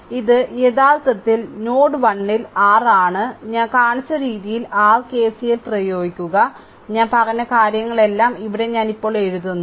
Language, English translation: Malayalam, So, this is actually your at node 1 you apply your KCL the way I showed you, all these things I told here I am writing now right